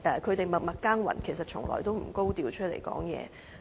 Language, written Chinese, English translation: Cantonese, 他們默默耕耘，從來也不高調發聲。, They work very hard and never speak out their demands openly